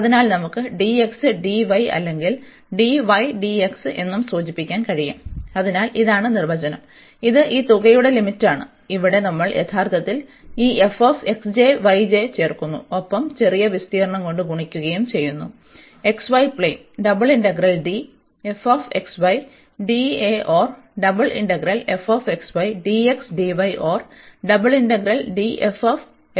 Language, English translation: Malayalam, So, we can also denote by dx, dy or dy, dx, so that is the definition here again its the limit of this sum, which where we are adding actually this f x j, y j and multiplied by the area of the smaller region in the x, y plane